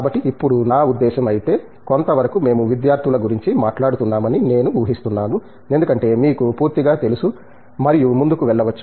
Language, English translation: Telugu, So, if now this I mean, I guess to some degree we were talking of the students as they you know complete and co ahead and so on